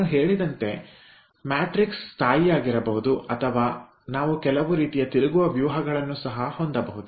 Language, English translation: Kannada, as i have mentioned, the matrix could be stationary or we can have some sort of a rotation of the matrix